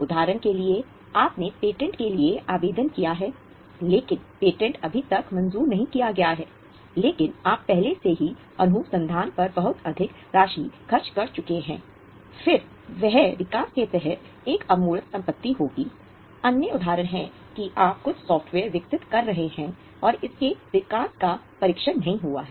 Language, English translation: Hindi, Like you have applied for patent but patent is not yet sanction but you have already spent a lot of amount on research then that will be a intangible asset under development or for example you are developing some software development testing has not happened so it's not in the ready stage for use but cost has been incurred in the development process